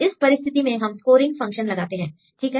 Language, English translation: Hindi, So, in this case we give a scoring function right for example